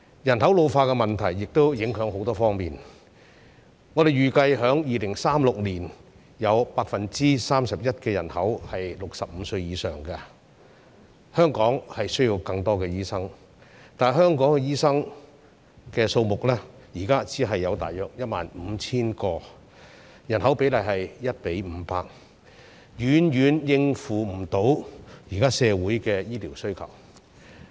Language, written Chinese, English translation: Cantonese, 人口老化的問題亦會影響很多方面，我們預計在2036年，有 31% 的人口是65歲以上，香港需要更多醫生，但香港醫生的數目，現在只有大約 15,000 名，與人口的比例是 1：500， 遠遠無法應付現在社會的醫療需求。, We estimate that by 2036 31 % of the population will be over 65 years of age . Hong Kong needs more doctors . However there are only around 15 000 doctors in Hong Kong at present a ratio of 1col500 to the population which can hardly cope with the existing healthcare demand of the community